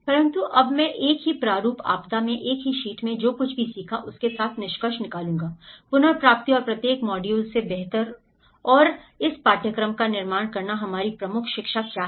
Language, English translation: Hindi, But now, I will conclude with what we learnt in the same sheet of the same format, disaster recovery and build back better and this course from each module what are our key learnings